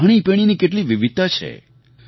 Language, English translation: Gujarati, How many varieties of cuisines there are